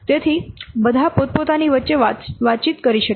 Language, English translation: Gujarati, So all can communicate among themselves